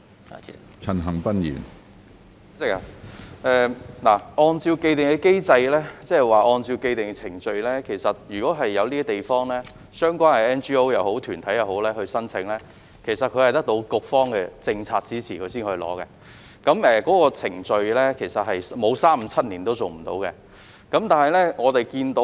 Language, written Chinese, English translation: Cantonese, 主席，按照既定機制，即是按照既定程序，相關的 NGO 或非政府團體就某些地方提出申請，是必須獲得局方的政策支持才可以提出的，在程序上沒有三五七年也做不到。, President according to the established mechanism that is according to the established procedures the relevant NGOs must secure policy support from the relevant bureaux before submitting applications for certain places and the entire process may take as long as three five or seven years to complete